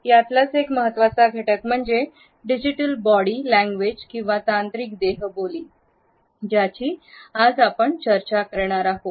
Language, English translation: Marathi, One major aspect is digital body language, which we would discuss today